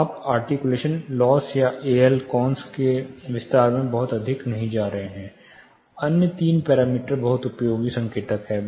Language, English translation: Hindi, You are not getting 2 into too much in to detail of articulation loss, or ALCons, this commonly referred to, the other three parameters are very useful, useful indicators